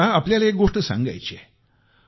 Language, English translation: Marathi, I would like to share something with you